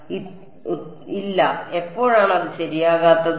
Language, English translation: Malayalam, Answer is no, when is it not correct